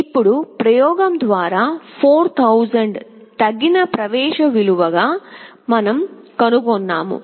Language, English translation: Telugu, Now, through experimentation, we found 4000 to be a suitable threshold value